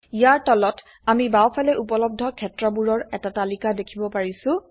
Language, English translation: Assamese, Below this, we see a list of available fields on the left hand side